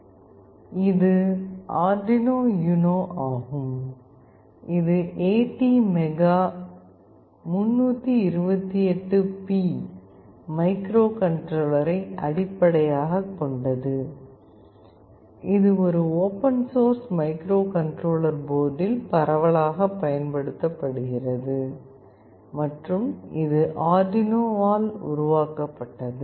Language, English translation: Tamil, This is the Arduino UNO, which is widely used open source microcontroller board, based on ATmega328P microcontroller and is developed by Arduino